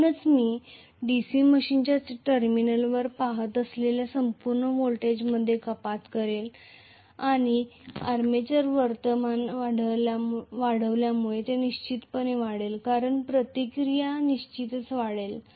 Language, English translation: Marathi, So that is going to cause a reduction in the overall voltage that I am visualising at the terminal of the DC machine and this will definitely increase as the armature current increases because the reaction will increase definitely